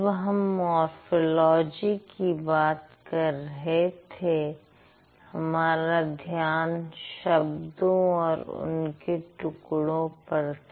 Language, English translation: Hindi, If you remember when I was talking about morphology, my focus was on the words and then the parts of words